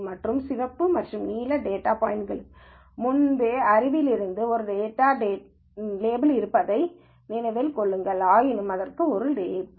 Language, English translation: Tamil, Remember the other red and blue data points already have a label from prior knowledge, this does not have a label